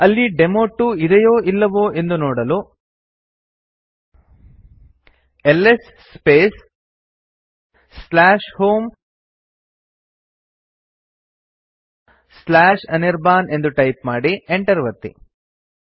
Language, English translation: Kannada, To see that the demo2 is there type ls space /home/anirban and press enter